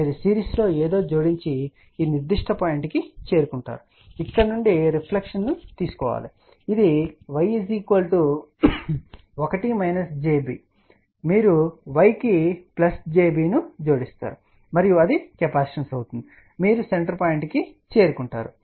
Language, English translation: Telugu, You add something in series at and reach to this particular point from here take the reflection come to this point and this will be y equal to 1 minus j b you add plus j b to the y and that will be a capacitance you will reach to the center point